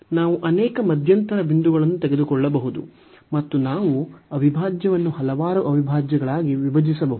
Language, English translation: Kannada, We can take many intermediate points and we can break the integral into several integrals